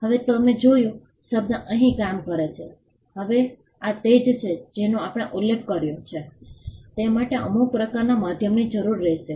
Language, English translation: Gujarati, Now you saw the word works here now this is what we had mentioned would require some kind of a medium